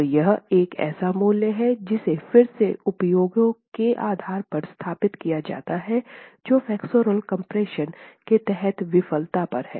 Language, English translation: Hindi, So this is a value that's again established based on experiments that look at crushing failure under flexual compression